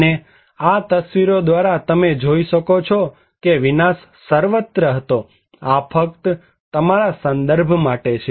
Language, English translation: Gujarati, And, you can see that it was everywhere the devastations you can observe through these pictures, just for your references